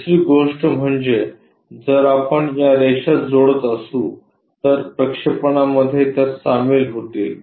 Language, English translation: Marathi, The other thing if we are joining these lines, they will co supposed to get coincided is projection